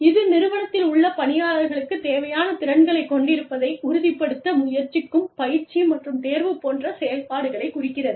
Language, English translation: Tamil, This refers to the activities, such as training and selection, that seek to ensure, that the individuals in the organization, have the required competencies